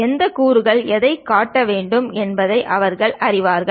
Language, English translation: Tamil, And they know which component has to be assembled to what